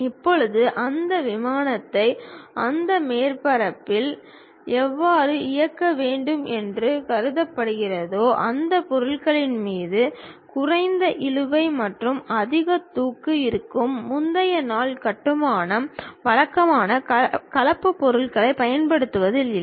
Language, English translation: Tamil, Now, how that surface supposed to be turned on that aeroplane such that one will be having less drag and more lift on that object; because, earlier day construction were not on using typical composite materials